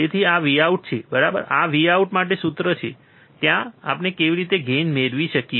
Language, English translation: Gujarati, So, this is V out, right this is formula for V out, from there how can we find the gain